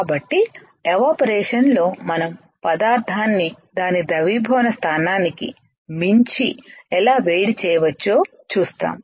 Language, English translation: Telugu, So, in evaporation we will see how we can heat the material beyond its melting point